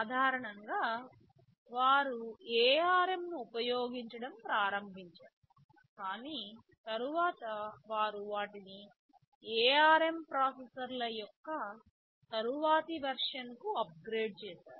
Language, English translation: Telugu, Typically they started to use ARM 9, but subsequently they updated or upgraded them to the later version of ARM processors